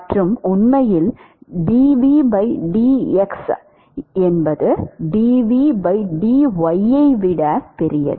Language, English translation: Tamil, And, in fact, dv by dx actually is larger than dv by dy yes